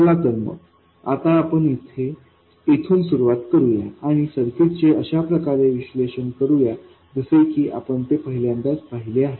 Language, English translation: Marathi, So, let's now start from this and analyze this circuit as though we are seeing it for the first time